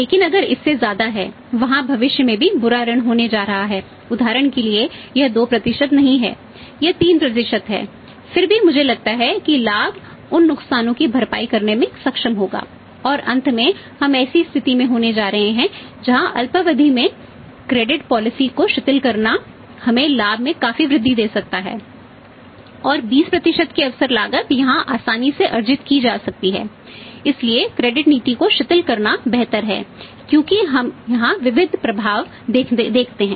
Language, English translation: Hindi, But if more than that is also bad debts they are going to have for example it is not 2% it is 3% even then I think this profit will be able to sustain those losses and finally we are going to end up a situation where buy relaxing the credit policy for the short term we can increase the profit substantially and the opportunity cost of 20% can be easily earned here